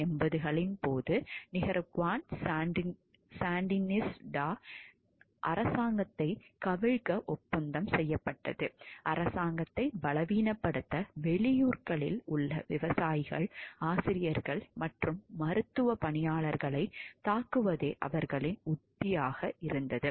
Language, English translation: Tamil, During the 1980’s the contras were working to overthrow the Nicaraguan Sandinista government their strategy was to attack farmers, teachers and medical workers in outlying areas to weaken the government